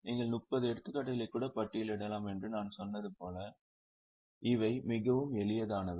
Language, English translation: Tamil, As I said, you can even list 30 examples